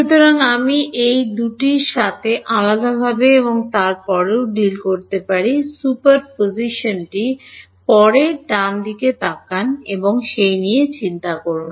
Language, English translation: Bengali, So, I can deal with each of these two separately and then worry about superposition later right